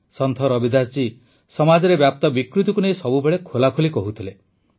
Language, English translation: Odia, Sant Ravidas ji always expressed himself openly on the social ills that had pervaded society